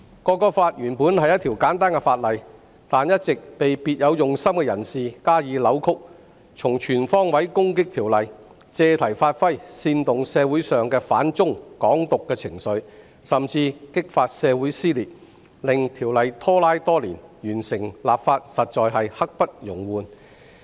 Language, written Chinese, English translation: Cantonese, 《條例草案》原本是簡單的法例，但一直被別有用心的人士加以扭曲，從全方位攻擊《條例草案》，借題發揮，煽動社會上的反中和"港獨"情緒，甚至激發社會撕裂，令《條例草案》拖拉多年，完成立法實在刻不容緩。, The Bill which is actually straightforward has all along been distorted by people with ulterior motives to attack the Bill on all fronts used it as a pretext to incite anti - China and Hong Kong independence sentiments in society and even caused social division . As a result the Bill has been dragged on for many years . Thus the legislative work should be completed without delay